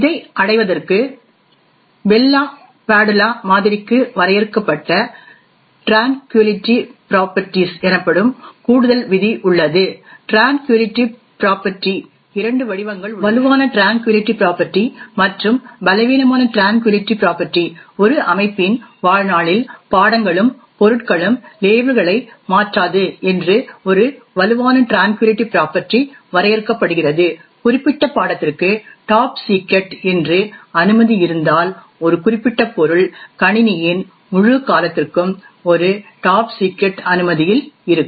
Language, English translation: Tamil, In order to achieve this there is an additional rule known as the Tranquillity properties which are defined for the Bell LaPadula model, there are two forms of the tranquillity property, Strong Tranquillity property and Weak Tranquillity property, a Strong Tranquillity property is defined that subjects and objects do not change labels during the lifetime of the system, if the particular subject is having a clearance of say top secret, then a particular subject would remain in the a top secret clearance for the entire duration of the system